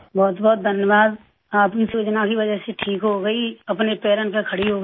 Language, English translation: Hindi, Because of your scheme, I got cured, I got back on my feet